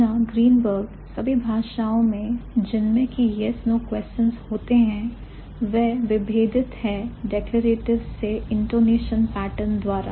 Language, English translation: Hindi, In all languages which have yes, no questions, they are differentiated from the declaratives by an intonation pattern